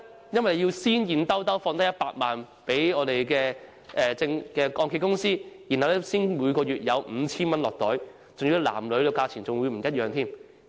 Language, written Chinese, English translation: Cantonese, 因為要先投入100萬元現金給按揭公司，才可以每月領取 5,000 元，而且男和女所得金額也不相同。, For participants of the scheme have to place 1 million with the Hong Kong Mortgage Corporation Limited to receive a monthly payment of 5,000 and the amount varies from male to female